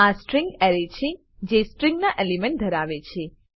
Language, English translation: Gujarati, This is the string array which has elements of string type